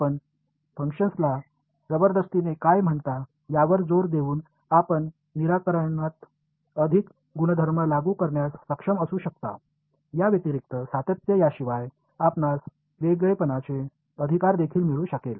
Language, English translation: Marathi, You get by forcing the function to be what do you call quadratic you may be able to enforce better properties on the solution apart from continuity you may also be able to get differentiability right